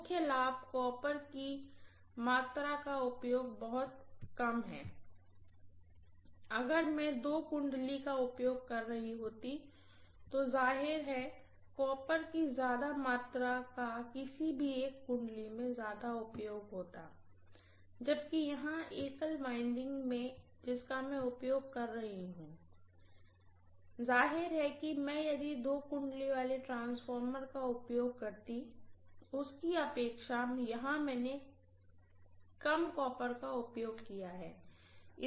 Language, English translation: Hindi, The major advantage is the amount of copper used is minimize to drastically, if had been using two windings I would be spending same amount of copper on either of the windings, whereas here, one single winding I am utilising so obviously I am not really spending twice the amount of copper like what I would have done in the case of a two winding transformer